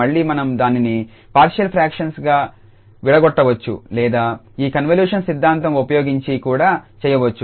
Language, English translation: Telugu, Again either we break into the partial fractions or we do with the help of this convolution theorem